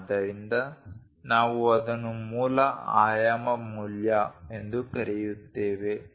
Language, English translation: Kannada, So, we call that as basic dimension value